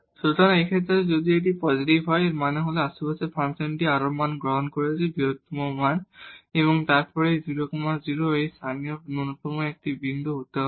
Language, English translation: Bengali, So, in this case if this is positive; that means, in the neighborhood the function is taking more values, the larger values and then this 0 0 has to be a point of a local minimum